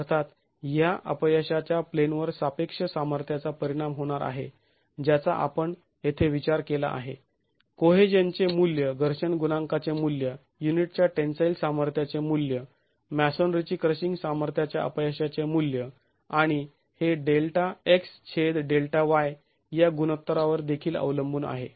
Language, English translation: Marathi, Of course, this failure plane is going to be affected by the relative strengths that we have considered here, the value of cohesion, the value of friction coefficient, the value of tensile strength of the unit, the value of failure crushing strength of masonry and it is also going to be dependent on the ratio delta x by delta y